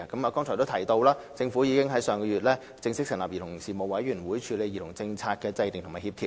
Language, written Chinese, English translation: Cantonese, "我剛才已提及，政府已於上月正式成立委員會，處理兒童政策的制訂和協調。, As I mentioned just now the Government formally set up the Commission last month to deal with the formulation and coordination of a childrens policy